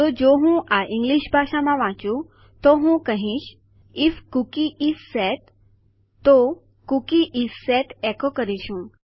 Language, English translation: Gujarati, So if I read this out in English language then Ill say If the cookie name is set then we say echo Cookie is set